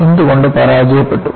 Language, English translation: Malayalam, Why it failed